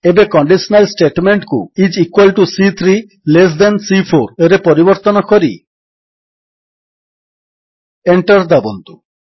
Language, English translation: Odia, Now let us change this conditional statement to is equal to C3 less than C4 Press Enter